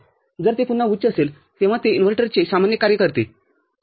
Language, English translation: Marathi, Only when it is high, then it serves the normal operation of an inverter, ok